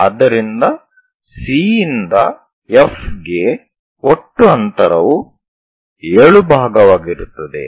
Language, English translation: Kannada, So, total distance C to F will be 7 part